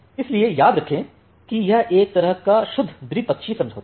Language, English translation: Hindi, So, remember that it is a kind of pure bilateral agreement